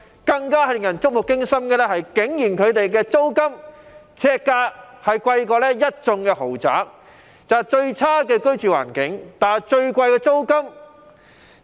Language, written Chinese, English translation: Cantonese, 更令人觸目驚心的是，他們每平方呎的租金比一眾豪宅更貴，最差的居住環境，但最貴的租金。, What is even more startling is that their per - square - foot rents are even higher than those of luxurious houses . They have to pay the most exorbitant rents but their living environment is nonetheless the most appalling